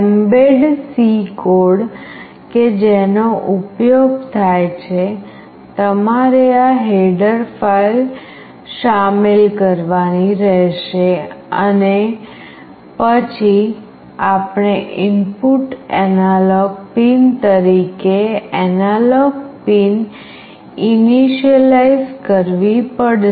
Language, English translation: Gujarati, The mbed C code that is used, you have to include this header file then we have to initialize an analog pin as an input analog pin